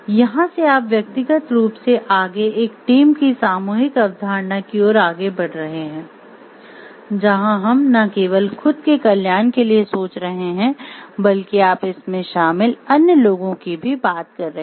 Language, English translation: Hindi, So, here you are generally from individually and moving to a collective concept of team where we are thinking not for only the welfare of yourself, but you talking of the like other people involved also